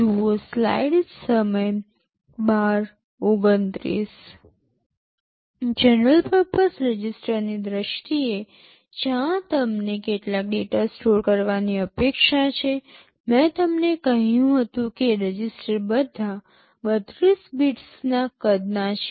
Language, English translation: Gujarati, In terms of the general purpose registers where you are expected to store some data, I told you the registers are all 32 bits in size